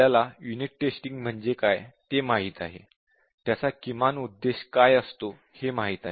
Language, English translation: Marathi, We know the unit testing, at least what is its purpose